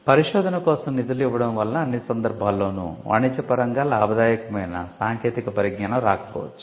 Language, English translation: Telugu, So, giving fund for research it need not in all cases result in commercially viable technology